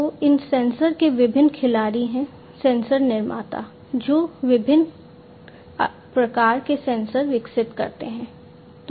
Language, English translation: Hindi, So, there are different players of these sensors, sensor manufacturers are there who develop different types of sensors